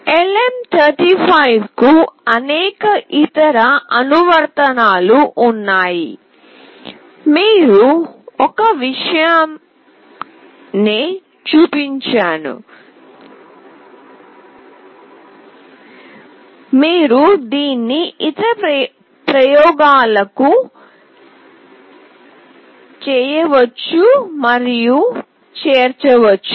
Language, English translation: Telugu, There are various other application of LM35, we have shown you one thing, which you can incorporate and do it for other experiments